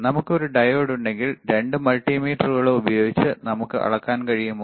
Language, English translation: Malayalam, If we have a diode, can we measure with both the multimeters